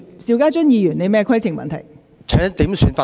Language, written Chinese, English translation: Cantonese, 邵家臻議員，你有甚麼規程問題？, Mr SHIU Ka - chun what is your point of order?